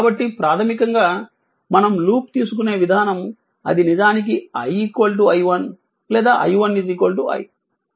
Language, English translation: Telugu, So, basically the way we have taken the loop it is i is equal to actually i 1 or i 1 is equal to i